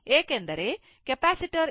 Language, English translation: Kannada, Because, capacitor it is 22